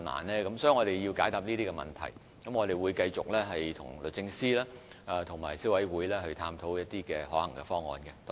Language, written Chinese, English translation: Cantonese, 我們需要回應這些問題，亦會繼續與律政司及消委會探討可行方案。, We need to address these questions and will continue exploring a feasible solution with the Department of Justice and CC